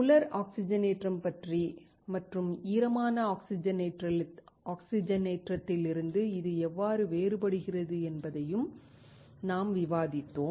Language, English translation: Tamil, We discussed dry oxidation and how it is different from wet oxidation